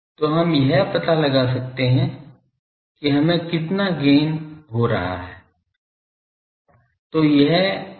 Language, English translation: Hindi, So, we can find out that how much gain we are having